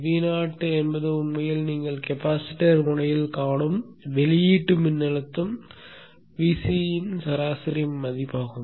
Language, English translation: Tamil, V0 is actually the average value of the output voltage VC which you see at the capacitance node